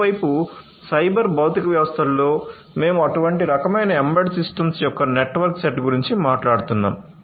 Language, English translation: Telugu, On the other hand in a cyber physical system, we are talking about a network set of such kind of embedded systems